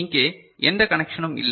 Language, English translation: Tamil, Here, no connection is there